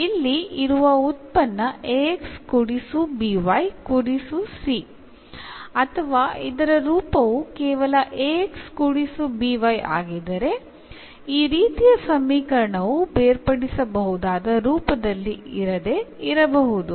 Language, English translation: Kannada, So, if we have here the function of this ax plus by plus c or the form is just ax plus by, so as such this given equation may not be in the separable form, but if we make a substitution here